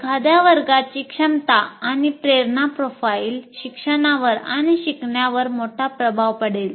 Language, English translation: Marathi, So the ability and motivation profile of a class will have great influence on teaching and learning